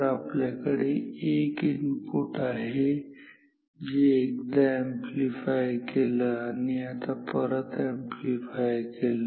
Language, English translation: Marathi, So, we have 1 input which is amplified once and then amplified again